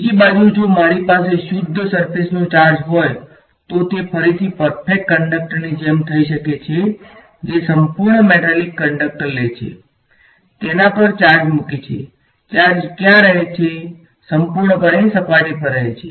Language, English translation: Gujarati, On the other hand if I have a pure surface charge that can again happen for like perfect conductors who take a perfect metallic conductor put charge on it, where does a charge live purely on the surface right